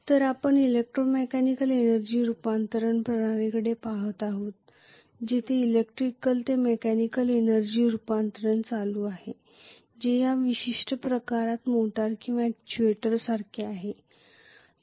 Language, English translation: Marathi, So we are looking at electromechanical energy conversion system where electrical to mechanical energy conversion is taking place which is like a motor or an actuator in this particular case